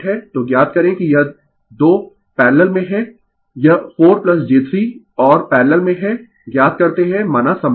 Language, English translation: Hindi, So, you find out thatthis 2 are in parallel this 4 plus j 3 and are in parallel you find out say equivalent